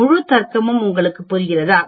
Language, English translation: Tamil, Do you understand the entire logic here